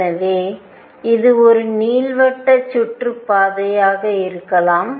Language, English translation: Tamil, So, it could be an elliptic orbit